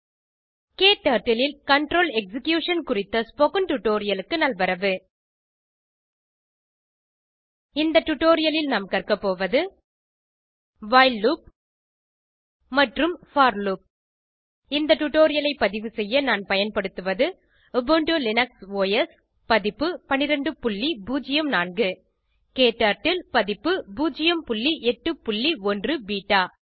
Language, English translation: Tamil, Welcome to this tutorial on Control Execution in KTurtle In this tutorial, we will learn while loop and for loop To record this tutorial I am using,Ubuntu Linux OS Version 12.04 KTurtle version 0.8.1 beta